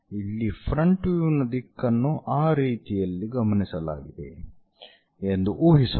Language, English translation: Kannada, So, here let us assume that front view direction is observed in that way